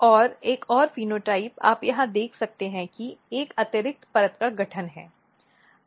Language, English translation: Hindi, And one phenotype you can see here is that, there is a extra layer formation